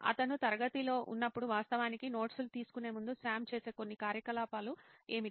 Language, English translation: Telugu, So what would be some of the activities that Sam does before he actually takes notes while he is in class